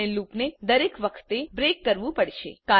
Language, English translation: Gujarati, We need to break the loop each time